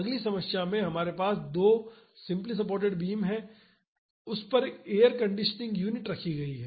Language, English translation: Hindi, In the next problem we have two simply supported beams and an air conditioning unit is kept on it